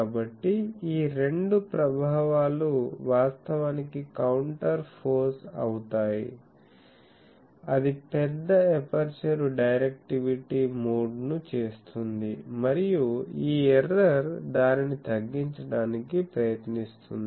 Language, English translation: Telugu, So, these 2 effect actually counter poses, the larger aperture makes the directivity mode and this error tries to minimize that